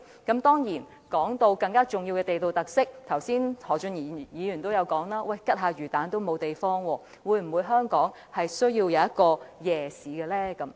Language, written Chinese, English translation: Cantonese, 談到更重要的地道特色，剛才何俊賢議員說連買串魚蛋吃也沒有地方，香港是否需要一個夜市呢？, When it comes to more important local characteristics Mr Steven HO has mentioned earlier that Hong Kong even lacks places for people to buy skewered fish balls to eat . Does Hong Kong need a night market?